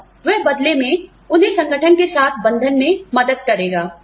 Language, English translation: Hindi, And, that will in turn, help them bond with the organization